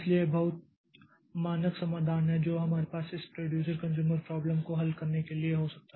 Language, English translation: Hindi, So, this is the very standard solution that we can have for solving this producer consumer problem